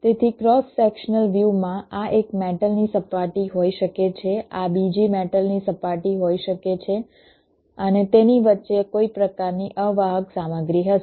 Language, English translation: Gujarati, so if i have a cross sectional view, ok, so in a cross sectional view, this can be one metal surface, this can be another metal surface, ok, and there will be some kind of a insulating material in between